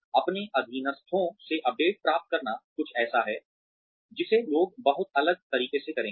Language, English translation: Hindi, Getting updates from their subordinates, is something, that people will do very differently